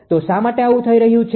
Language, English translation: Gujarati, So, why this is happening